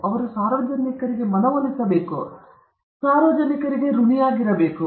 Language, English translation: Kannada, They have to convince the public, they are indebted to the public